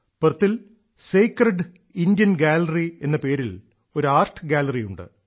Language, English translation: Malayalam, In Perth, there is an art gallery called Sacred India Gallery